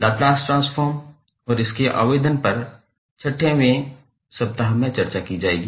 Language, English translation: Hindi, The Laplace transform and its application will be discussed in the 6th week